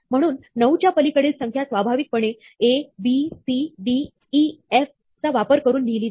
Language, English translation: Marathi, So, the numbers beyond 9 are usually written using A, B, C, D, E, F